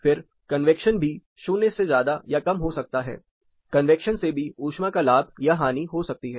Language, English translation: Hindi, Convection again plus or minus, you can gain heat through convection or you can also loose heat through convection